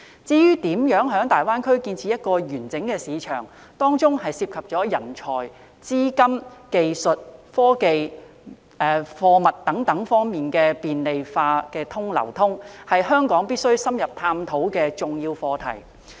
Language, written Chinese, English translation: Cantonese, 至於如何在大灣區建立一個完整的市場，當中涉及人才、資金、技術、科技、貨物等方面的便利化流通，是香港必須深入探討的重要課題。, To establish a comprehensive market in GBA measures must be implemented to facilitate the flow of talents capital skills technology goods etc . This is an important subject which Hong Kong should explore in depth